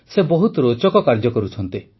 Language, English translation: Odia, He isdoing very interesting work